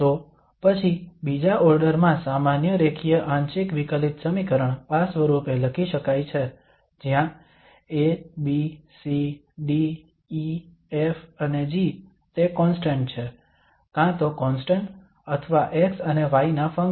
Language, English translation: Gujarati, So a second order general linear partial differential equation then can be written as in this form where these A, B, C, D, E, F and G they are the constants, either constants or functions of x and y